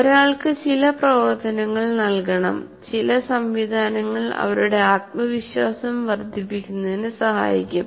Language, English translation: Malayalam, So you have to provide some activities, some mechanisms to enhance their confidence